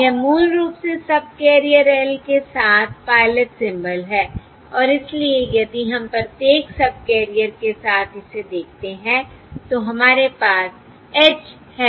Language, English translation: Hindi, This is basically the pilot symbol across subcarrier L and therefore, if we look at this across each subcarrier, we have [y ha] h hat l